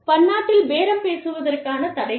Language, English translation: Tamil, Obstacles to multi national bargaining